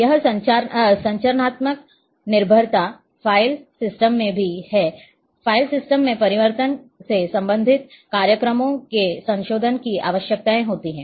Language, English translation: Hindi, And this is structural dependence is also there in the file system the change in file system requires modification of related programs